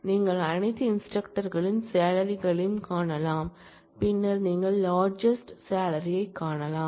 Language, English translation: Tamil, You can find salaries of all instructors, and then you can find the largest salary